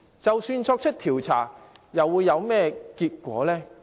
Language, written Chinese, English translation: Cantonese, 即使作出調查，又會有何結果？, Even if we proceed with the investigation what outcomes can we get?